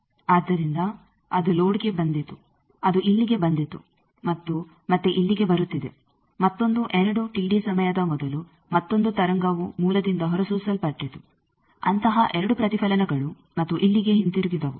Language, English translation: Kannada, So, that came to the load, that came here and again coming back here; another 2 T d time before there was another wave that was emitted from source that suffered, two such reflections and came back here